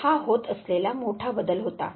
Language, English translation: Marathi, So, this was the major change that was taking place